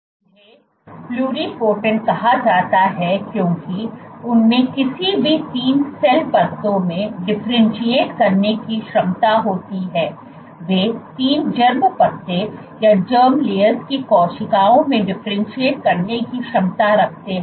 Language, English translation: Hindi, They are called pluripotent because they have the potential to differentiate into any 3 cell layers; they have the capacity to differentiate into cells of 3 germ layers